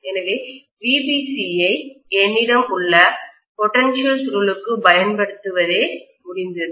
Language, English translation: Tamil, So what I have done is to apply VBC to the potential coil